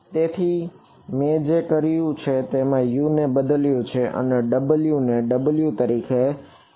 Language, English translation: Gujarati, So, all I have done is substitute U and I have put kept w as w ok